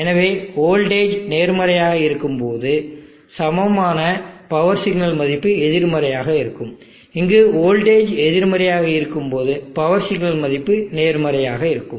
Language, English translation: Tamil, So when the voltage is positive the equivalent power signal value will be negative, when the voltage is negative here the power signal value will be positive